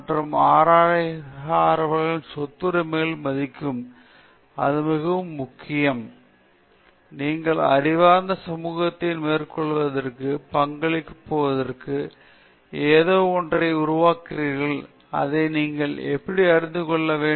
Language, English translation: Tamil, And respecting intellectual property rights; that is very important, because as a researcher, you should be aware of the fact that you are creating something which is going to contribute to the improvement of the scholarly community